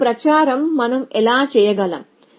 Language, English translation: Telugu, How can we do this propagation